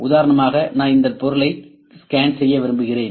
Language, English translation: Tamil, And for instance I will like to just scan this object